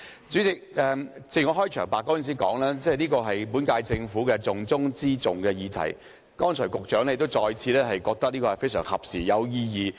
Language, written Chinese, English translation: Cantonese, 主席，我在開場發言時說這議題是本屆政府的"重中之重"，而剛才局長亦再次表示這項辯論非常合時和有意義。, President I have said at the outset that this issue is the top priority of the current Government and just now the Secretary also said that this discussion is timely and meaningful